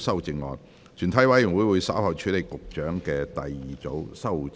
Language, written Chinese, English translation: Cantonese, 全體委員會稍後會處理局長的第二組修正案。, The committee will deal with the Secretarys second group of amendments later